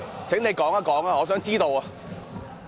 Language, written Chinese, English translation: Cantonese, 請你說說，我想知道。, Please explain . I wish to know